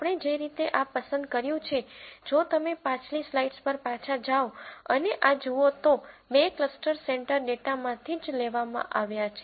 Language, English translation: Gujarati, The way we have chosen this, if you go back to the previous slide and look at this, the two cluster centres have been picked from the data itself